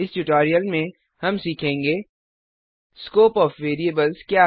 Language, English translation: Hindi, In this tutorial we will learn, What is the Scope of variable